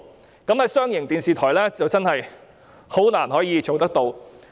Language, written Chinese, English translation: Cantonese, 就這方面，商營電視台真的難以仿效。, In this regard commercial television broadcasters are honestly unable to follow suit